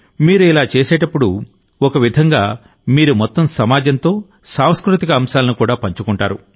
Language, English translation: Telugu, When you do this, in a way, you share a cultural treasure with the entire society